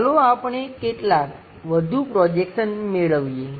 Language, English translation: Gujarati, Let us guess few more projections